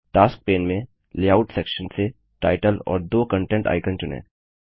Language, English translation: Hindi, From the Layout section on the Tasks pane, select Title and 2 Content icon